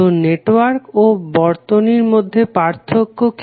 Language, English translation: Bengali, So what are the difference between network and circuit